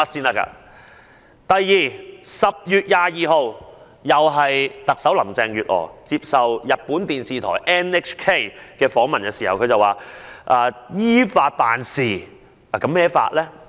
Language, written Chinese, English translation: Cantonese, 再者，在10月22日，林鄭月娥接受日本放送協會訪問時表示，特區政府只是依法辦事。, Furthermore on 22 October in an interview by Nippon Hoso Kyokai Carrie LAM said that the SAR Government has just been acting in accordance with the law